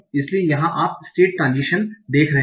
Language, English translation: Hindi, So here, so you are seeing the state transition